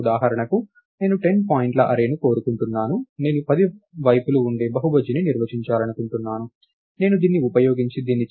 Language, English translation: Telugu, For instance, lets say I want an array of 10 points, may be I want to define a polygon which has ah